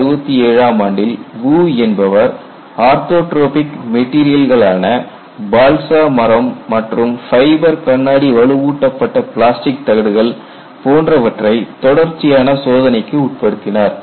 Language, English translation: Tamil, He conducted a series of test on orthotropic materials such as balsa wood and fiber glass reinforced plastic plates